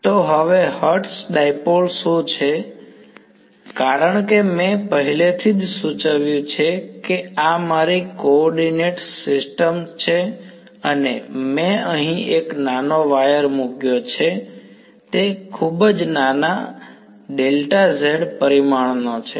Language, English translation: Gujarati, So, now what is Hertz dipole, as I’ve already indicated let us say this is my coordinate system and I put one tiny is a wire over here very tiny and of dimension delta z